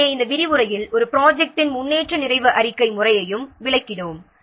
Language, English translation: Tamil, So, in this lecture we have discussed how to collect the progress details of a project